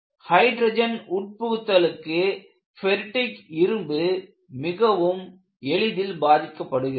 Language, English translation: Tamil, And if you notice, ferritic ions are susceptible to hydrogen embrittlement